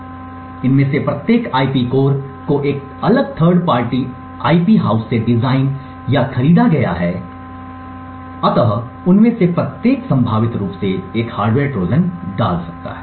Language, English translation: Hindi, So, each of these IP cores is designed or purchased from a different third party IP house and each of them could potentially insert a hardware Trojan